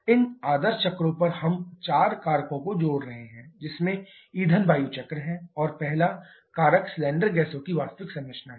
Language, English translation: Hindi, On these ideal cycles we are adding four factors to have the fuel air cycle and the first factor is the actual composition of cylinder gases